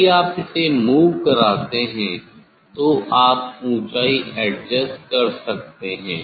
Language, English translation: Hindi, if you move this one on it you can adjust the height